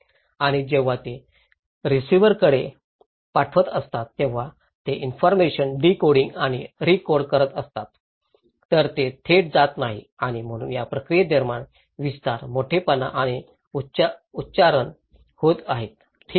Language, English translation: Marathi, And when they are sending it to the receiver, they are also decoding and recoding the informations, So, it’s not directly going and so during this process, amplifications, magnifications and accentuations are happening, okay